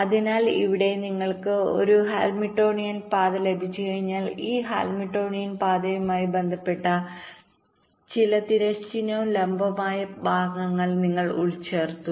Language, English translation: Malayalam, so, once you got a hamiltionian path, you embed some horizontal and vertical segments corresponding to this hamilionian path